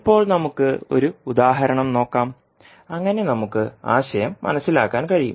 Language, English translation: Malayalam, Now let us take one example so that we can understand the concept